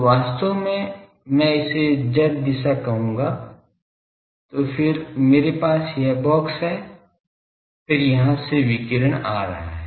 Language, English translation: Hindi, So, actually I will call this will be the z direction then so, I have this box then from here the radiation is coming